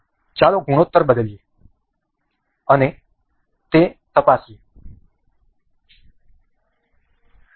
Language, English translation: Gujarati, Let us just change the ratio and check that